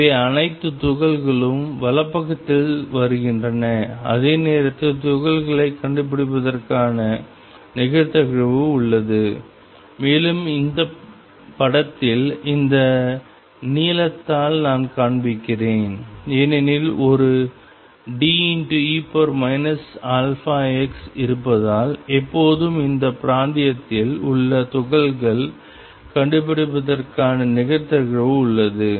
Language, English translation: Tamil, So, all the particles are coming to the right are actually getting reflected at the same time there is a probability of finding the particles and I am showing by this blue in this figure because there is a D e raised to minus alpha x there is always a probability of finding particles in this region